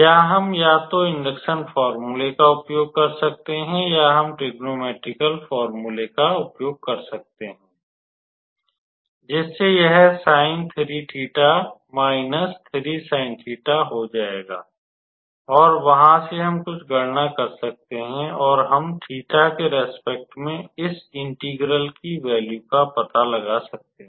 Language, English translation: Hindi, Here we can either use the induction formula or we can use the trignometrical formula, where this will reduce to sin 3 theta minus 3 sin theta and from there we can do some calculation, and we can be able to find out the value of this integral with respect to theta